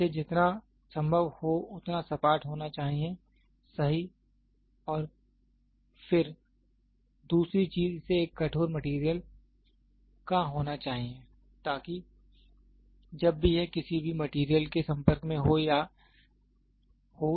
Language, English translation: Hindi, It has to be as flat as possible, right and then second thing it has to have a hardened material so that, whenever it is in contact with any material it does